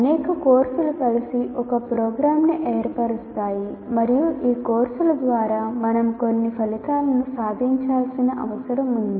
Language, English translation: Telugu, Because several courses together form a program and through these courses you, it is we are required to attain certain outcomes